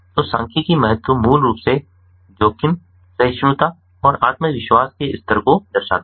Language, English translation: Hindi, so statistical significance basically ah, ah, reflects the risk tolerance and the confidence level